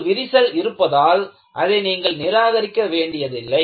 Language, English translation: Tamil, Just because it has a crack, you need not have to discard